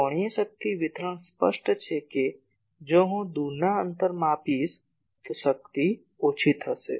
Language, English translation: Gujarati, Angular power distribution obviously, if I measure at a further away distance the power will be reduced